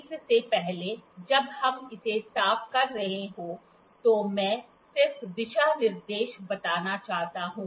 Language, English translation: Hindi, Before that while we are cleaning it, I like to just tell the guidelines